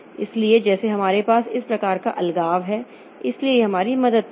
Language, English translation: Hindi, So like that we have this type of separation so this will help us